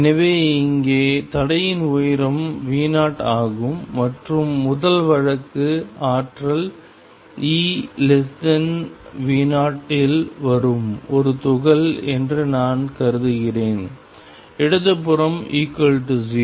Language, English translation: Tamil, So, here is the barrier of height V 0 and first case I consider is a part of the coming in at energy e less than V 0 the left hand side is V equal 0